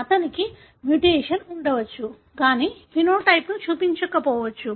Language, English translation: Telugu, He may have a mutation, but may not show the phenotype